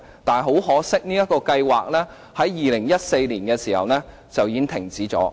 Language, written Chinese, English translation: Cantonese, 但很可惜，這個計劃在2014年已經停止。, But it is a pity that the programme had to stop in 2014